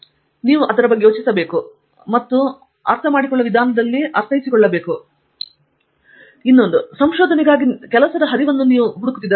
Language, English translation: Kannada, So, you need to think about it and interpret it in a manner that make sense to you and then possibly utilize it in the manner that you feel is appropriate